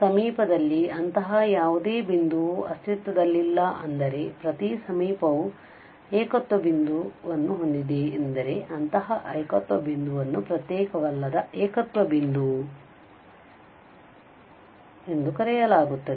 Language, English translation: Kannada, If no such point in the neighbourhood exist that means every neighbourhood has a singular point then such a singular point is called non isolated singular point